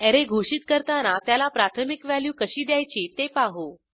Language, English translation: Marathi, Now let see how to initialize an Array during declaration